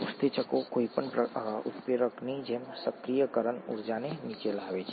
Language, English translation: Gujarati, The enzymes just bring down the activation energy as any catalyst does